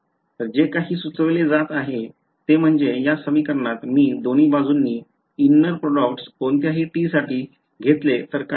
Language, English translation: Marathi, So, what is being suggested is that, in this equation what if I take a inner product on both sides with t any t ok